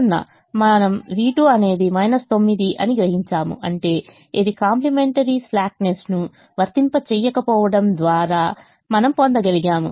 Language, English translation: Telugu, we realize v two as minus nine, which is this which we would have obtained otherwise by applying complimentary slackness